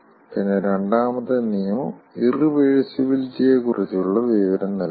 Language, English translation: Malayalam, then second law gives another information, which is irreversibility